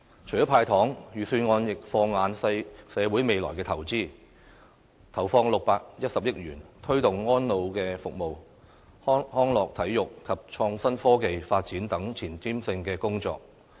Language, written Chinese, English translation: Cantonese, 除了"派糖"，預算案亦放眼社會未來的投資，投放610億元，推動安老服務、康樂體育及創新科技發展等前瞻性工作。, Apart from handing out sweeteners the Budget has also kept an eye on the need to invest in the future . A sum of 61 billion will be invested in forward - looking plans in the areas of the promotion of elderly services recreational and sports and the development of innovation and technology